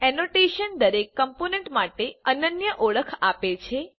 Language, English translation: Gujarati, Annotation gives unique identification to each component